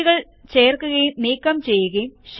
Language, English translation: Malayalam, Inserting and Deleting sheets